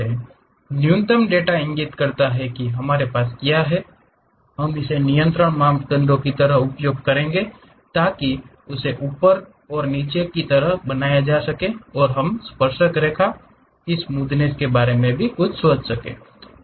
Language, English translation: Hindi, The minimum data points what we have those we will use it like control parameters to make it up and down kind of things and we require something about tangents, their smoothness also